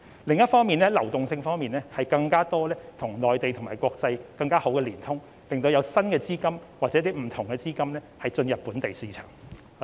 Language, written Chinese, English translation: Cantonese, 此外，在流動性方面，我們要與內地及國際有更多及更好的連通，吸引新的資金或不同的資金進入本地市場。, Moreover in respect of liquidity we have to forge connectivity with the Mainland and the international market in more areas and in a better way in order to attract new or diversified capital to the local markets